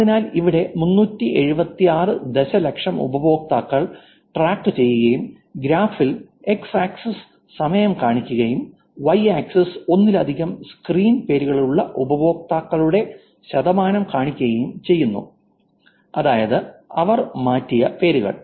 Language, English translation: Malayalam, So, here, 376 million users were tracked, and the graph is showing you x axis to be the time, and y axis to be the percentage of users with multiple screen names, which is names that they have changed